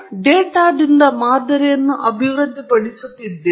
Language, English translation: Kannada, You are going to develop the model from data